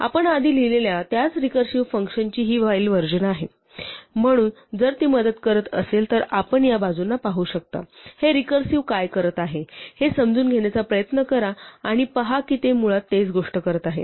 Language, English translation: Marathi, This a while version of the same recursive function we wrote earlier, so if it helps you can look at these side by side and try to understand what this recursive things is doing and what the while is doing and see that they are basically doing the same thing